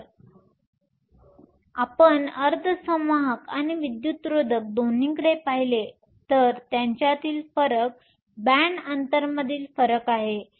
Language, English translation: Marathi, So, if you look at both semiconductors and insulators the difference between them is the difference in the band gap